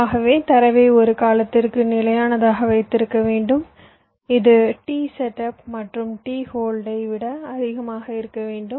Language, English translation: Tamil, so you can say that i must have to keep my data stable for a time which must be greater than t setup plus t hold, with these time in constrained